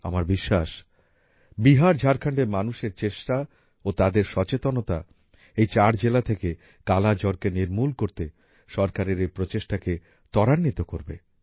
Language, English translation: Bengali, I am sure, the strength and awareness of the people of BiharJharkhand will help the government's efforts to eliminate 'Kala Azar' from these four districts as well